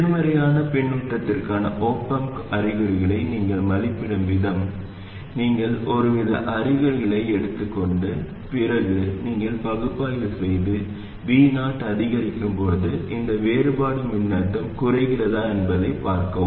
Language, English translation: Tamil, The way you evaluate the op amp signs for negative feedback is you assume some set of signs and then you work around and then see if this difference voltage reduces as V 0 increases